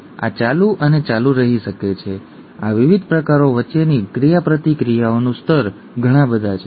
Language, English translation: Gujarati, And this can go on and on, okay, the level of interactions between these various kinds, are so many